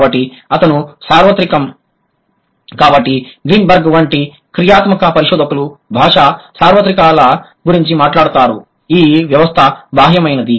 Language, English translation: Telugu, So his universal, so the kind of language universals that functionalist researchers like Greenberg would talk about, that is a system external